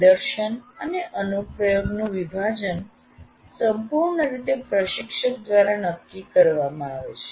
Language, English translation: Gujarati, And how you want to divide this division of demonstration and application is completely decided by the instructor